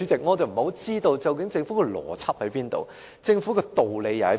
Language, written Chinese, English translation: Cantonese, 我不太明白政府究竟有何邏輯、有何道理？, I do not quite understand the logic and reasoning of the Government